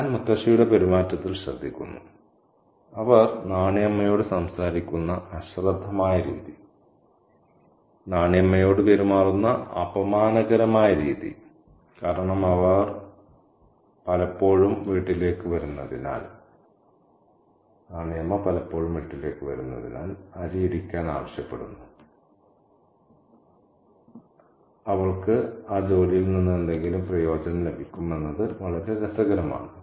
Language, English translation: Malayalam, As I said, I draw attention to Mutasi's behavior, the careless manner in which she talks to Nanyamah, the condescending manner in which she behaves to Nanyama because she comes by the house often asking for rice to be pounded so that she'll get some benefit out of that work is very, very interesting